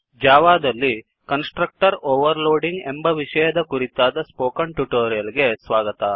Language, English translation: Kannada, Welcome to the Spoken Tutorial on constructor overloading in java